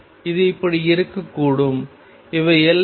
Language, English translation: Tamil, It could also be like this: these are the boundaries